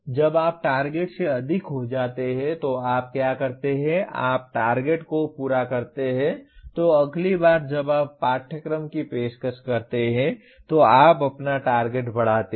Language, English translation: Hindi, When you exceed the target, what you do or you meet the target then what you do next time you offer the course, you raise your target